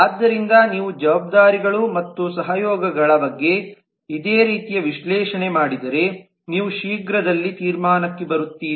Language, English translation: Kannada, so if you do a similar analysis of the containments of responsibilities and the collaboration you will soon come to the conclusion